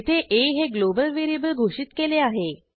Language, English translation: Marathi, Here we have declared a global variable a